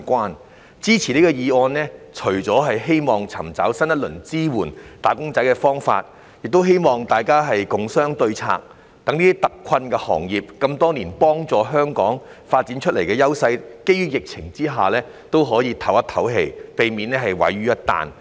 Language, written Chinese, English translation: Cantonese, 我支持此項議案的原因，除了是希望尋找新一輪支援"打工仔"的方法，亦希望大家共商對策，讓這些多年來幫助香港發展優勢但在疫情下特困的行業可以鬆一口氣，避免毀於一旦。, I support this motion not only because I hope to find a new round of support for wage earners but also because I hope that we can work out a solution together so that these industries which have helped Hong Kong develop its advantages over the years but have been particularly hard hit by the epidemic can breathe a sigh of relief and avoid overnight collapse